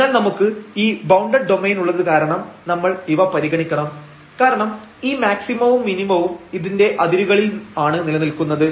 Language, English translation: Malayalam, So, when we have the bounded domain we have to consider because this maximum minimum may exist at the boundaries